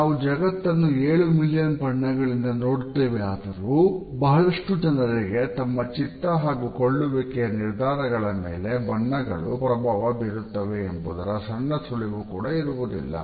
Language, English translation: Kannada, Although we see the world in 7 million different colors, most people do not have the slightest clue how colors affect their mood and purchasing decisions